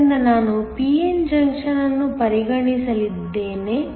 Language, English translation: Kannada, So, I am going to consider a p n junction